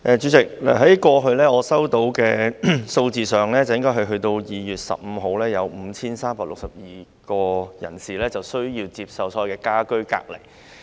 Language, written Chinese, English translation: Cantonese, 主席，據我收到的數字，截至2月15日，共有5362名人士需要接受家居隔離。, President according to the figures obtained by me as at 15 February a total of 5 362 people have been put under home quarantine